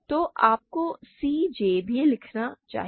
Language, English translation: Hindi, So, you should also write c j